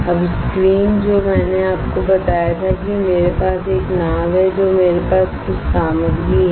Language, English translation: Hindi, The screen now, what I told you is I have a boat I have some material right